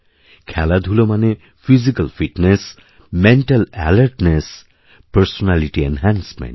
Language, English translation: Bengali, Sports means, physical fitness, mental alertness and personality enhancement